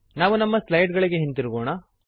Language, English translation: Kannada, Let us move back to our slides